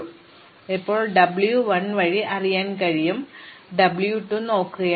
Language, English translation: Malayalam, So, I can throw way W 1 from now, I am just look at W 2